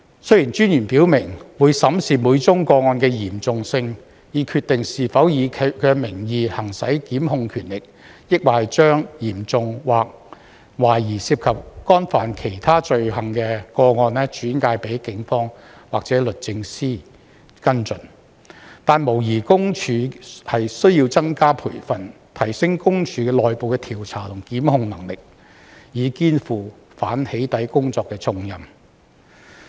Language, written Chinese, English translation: Cantonese, 雖然私隱專員表明會審視每宗個案的嚴重性，以決定是否以其名義行使檢控權力，抑或將較嚴重或懷疑涉及干犯其他罪行的個案轉介給警方或律政司跟進，但無疑私隱公署須要增加培訓，提升私隱公署內部的調查和檢控能力，以肩負反"起底"工作的重任。, While the Commissioner has indicated that she will examine the seriousness of each case to determine whether to exercise prosecution powers in her name or to refer more serious cases or cases suspected to have involved other offences to the Police or the Department of Justice for follow - up there is no doubt that PCPD needs to provide more training to enhance its internal investigative and prosecutorial capacity to take on the burden of anti - doxxing work